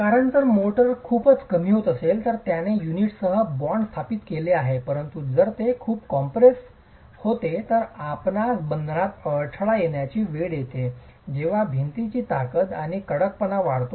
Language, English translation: Marathi, because if motor shrinks too much it's established a bond with the unit but if it shrinks too much you can have failure at the bond by the time the wall gains strength and hardens